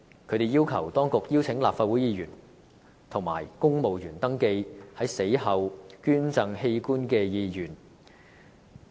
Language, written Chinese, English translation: Cantonese, 他們要求當局邀請立法會議員及公務員登記在死後捐贈器官的意願。, They ask the authorities to invite Legislative Council Members and civil servants to sign up for organ donation after death